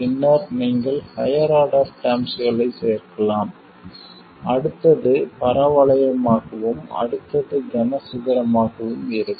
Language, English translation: Tamil, And then you can add higher order terms, the next one will be parabolic and the next one will be cubic and so on